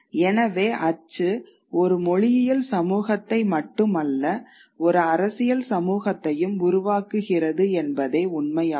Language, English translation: Tamil, So, print creates not only a linguistic community but it also creates a political community